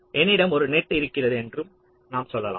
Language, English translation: Tamil, lets say, i have a net